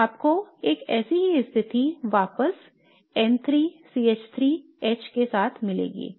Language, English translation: Hindi, So you will get back a similar situation where N3, CH3H